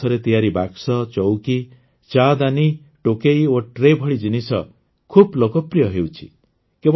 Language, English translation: Odia, Things like boxes, chairs, teapots, baskets, and trays made of bamboo are becoming very popular